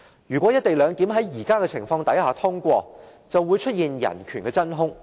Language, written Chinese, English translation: Cantonese, 如果"一地兩檢"安排在目前的情況下通過，便會出現人權的真空。, If the co - location arrangement is passed under the present circumstances a vacuum of human rights will arise